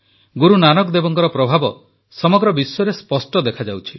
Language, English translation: Odia, The world over, the influence of Guru Nanak Dev ji is distinctly visible